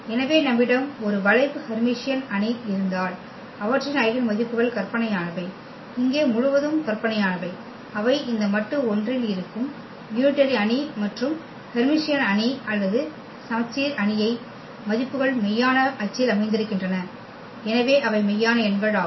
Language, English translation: Tamil, So, if you have a skew Hermitian matrix their eigenvalues are imaginary, purely imaginary here the unitary matrix they lie on this modulus 1 and for the Hermitian matrix or the symmetric matrix the values are sitting on the real axis, so meaning they are the real numbers